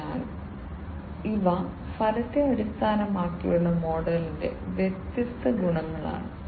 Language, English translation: Malayalam, So, these are different advantages of the outcome based model